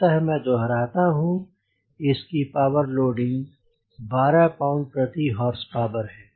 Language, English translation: Hindi, so i repeat, the power loading is twelve pounds per horsepower